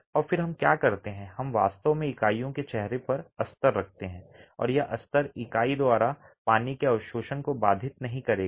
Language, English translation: Hindi, And then what we do is that we actually place lining on the face of the units and this lining will actually absorb the, will not inhibit the absorption of water by the unit